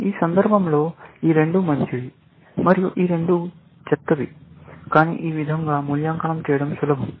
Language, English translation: Telugu, In this case, these two are better, and these two are the worst, essentially, but this way, it is easy to evaluate